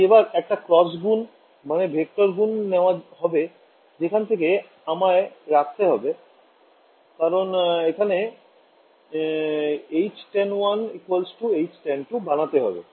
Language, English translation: Bengali, So, I can take this cross product, vector cross product, from that which term do I have to keep because, I want to enforce H tan in 1, should be H tan in 2